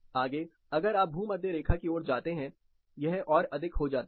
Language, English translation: Hindi, Further you go towards equator, it gets more